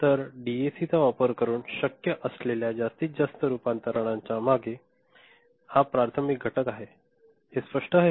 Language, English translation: Marathi, So, this is the primary factor behind the maximum rate of conversion that is possible using a DAC, is it clear